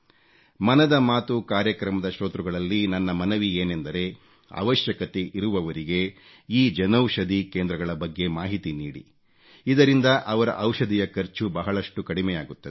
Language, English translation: Kannada, I appeal to the listeners of 'Mann Ki Baat' to provide this information about Jan Anshadhi Kendras to the needy ones it will cut their expense on medicines